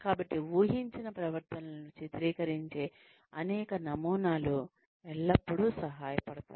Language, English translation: Telugu, So, several models portraying the expected behaviors always helps